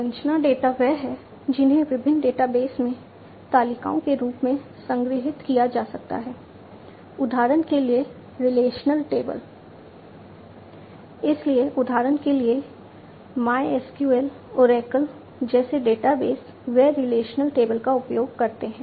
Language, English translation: Hindi, Structure data are the ones which could be stored in the form of tables in different databases; for example, relational tables, right